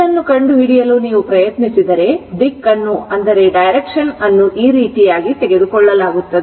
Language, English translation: Kannada, If you try to find out this, I the direction is taken in this way direction is taken in this way